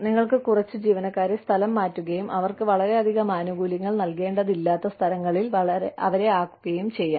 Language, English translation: Malayalam, You could transfer some employees, and put them in places, where you do not have to give them, so many benefits